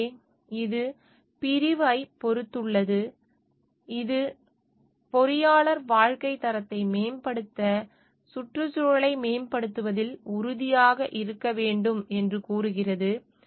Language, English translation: Tamil, So, and it has got section, which is section 1 f it states that engineer should be committed to improving the environment to enhance the quality of life